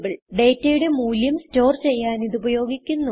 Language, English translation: Malayalam, It may be used to store a data value